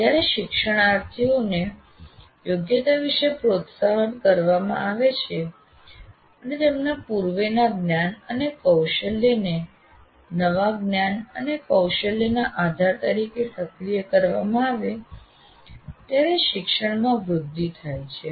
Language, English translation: Gujarati, And learning is promoted when learners are motivated about the competency and activate the mental model of their prior knowledge and skill as foundation for new knowledge and skills